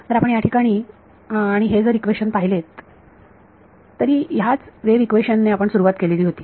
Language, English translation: Marathi, So, if you look at this equation over here we started with this wave equation over here